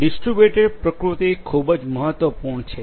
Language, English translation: Gujarati, Distributed nature is very important